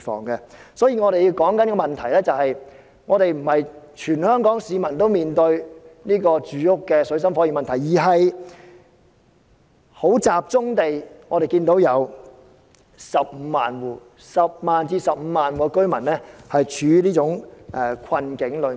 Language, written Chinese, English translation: Cantonese, 因此，我們探討的問題，並非全港市民均在住屋上面對水深火熱的問題，而是我們要集中地看，有10萬至15萬戶居民正處於這種困境中。, Hence the issue we are exploring is not that all the people of Hong Kong are facing desperate plights in accommodation . We have to focus on the point that 100 000 to 150 000 households are caught in that kind of predicament